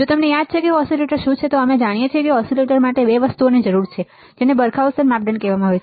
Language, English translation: Gujarati, So, if you if you recall what are the oscillators, we know that oscillators required two things which is called Barkhausen criteria